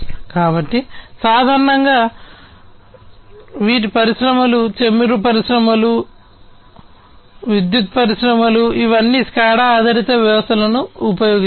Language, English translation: Telugu, So, typically you know water industries, oil industries, power generation industries etc, they all use SCADA based systems